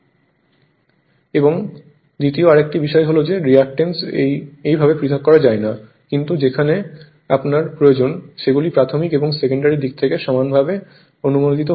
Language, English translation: Bengali, That and sec[ond] another thing is that your reactance's cannot be separated as such right, but where you right where your you required, these could be equally your approximated to the primary and secondary side